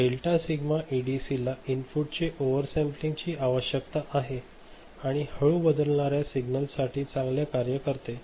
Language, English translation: Marathi, Delta Sigma ADC needs to oversample the input and works well for slow changing signals ok